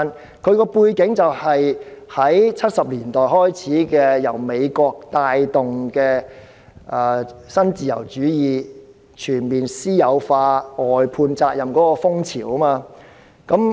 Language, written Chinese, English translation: Cantonese, 背景可追溯至1970年代，由美國帶動的新自由主義，推動全面私有化、外判責任的風潮。, The background can be traced back to the neoliberalism led by the United States in the 1970s spurring a spree of comprehensive privatization and outsourcing of responsibilities